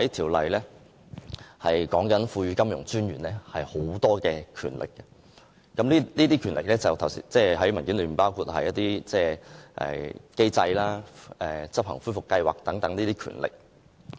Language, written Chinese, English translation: Cantonese, 《條例草案》訂明賦予金融管理專員很多權力，包括文件上提及的規定認可機構實施恢復計劃等權力。, The Bill stipulates conferment on the Monetary Authority MA many powers including the power to require an authorized institution to implement a recovery plan as stated in the document